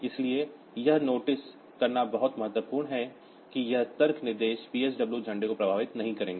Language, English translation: Hindi, So, this is one of the very important thing to notice that these logic instructions will not affect the PSW flags